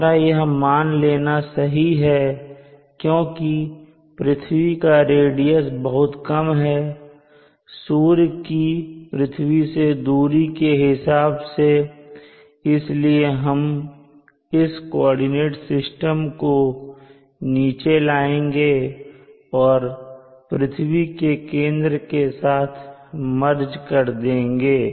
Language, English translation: Hindi, This assumption is valid in the sense that r, the radius of the earth is very small compared to the distance from the sun and without loss of generality we can push this coordinate system and make it merge to the center of the earth